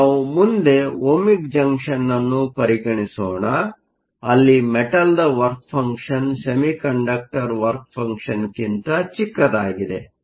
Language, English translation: Kannada, So, let us next consider the Ohmic Junction, where the work function of the metal is smaller than the work function of the semiconductor